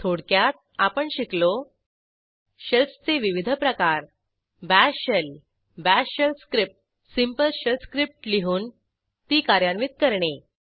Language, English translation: Marathi, In this tutorial, we will learn About different types of Shells To write a Bash Shell script and To execute it